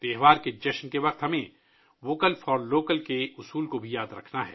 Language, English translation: Urdu, At the time of celebration, we also have to remember the mantra of Vocal for Local